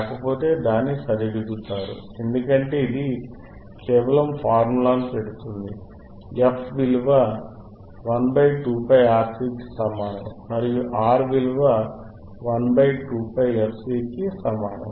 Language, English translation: Telugu, If not, you correct it because it is just putting formula, f equals to 1 upon 2 pi RC two pi into RC and R equals to 1 upon 2 pi fcC, right